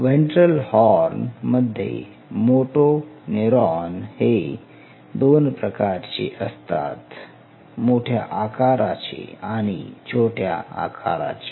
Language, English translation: Marathi, In the ventral horn motoneurons where I told you that you have 2 types like you have the larger size you have the smaller size